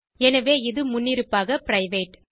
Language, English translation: Tamil, So by default it is private